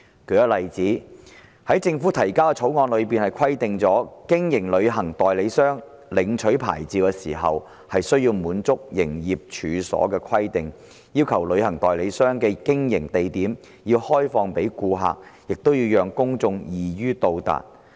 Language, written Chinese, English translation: Cantonese, 舉例而言，《條例草案》規定，為經營旅行代理商業務而領取牌照時，申請人須滿足有關營業處所的規定，旅行代理商的經營地點要向公眾開放，亦要讓公眾易於到達。, For instance the Bill provides that in applying for a licence to carry on travel agent business the applicant must satisfy the premises requirement ie . the premises for travel agent business must be open to the public and easily accessible